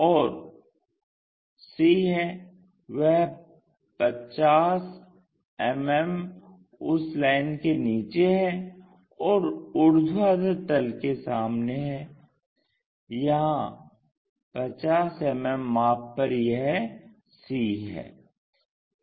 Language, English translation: Hindi, And c is 50 mm below that line or in front of vertical plane, locate 50 mm here this is c